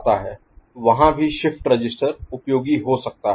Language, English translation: Hindi, There also shift register can be useful, ok